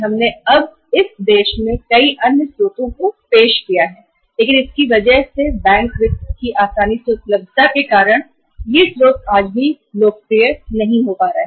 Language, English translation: Hindi, So in that case we have now say introduced many other sources in this country but because of easy availability of the bank finance even today these other sources are not popularizing right